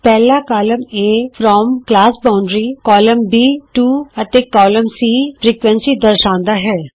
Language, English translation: Punjabi, the first column A represents the from class boundary.column b To and column c frequency